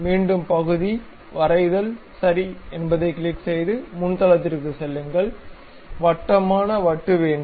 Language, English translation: Tamil, Again part drawing, click ok, go to frontal plane, we would like to have a circular disc